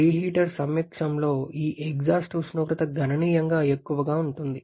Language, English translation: Telugu, This exhaust temperature in presence of the reheater is significantly higher